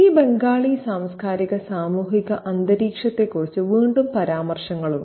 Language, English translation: Malayalam, Again, there are other references to this Bengali cultural and social atmosphere